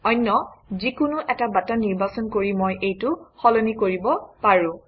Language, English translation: Assamese, I can change this by choosing any other button